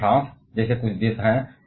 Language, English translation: Hindi, But there are certain countries like France